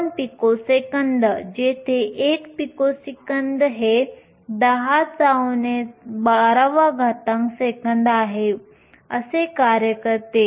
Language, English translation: Marathi, 2 picoseconds, where 1 picosecond is 10 to the minus 12 seconds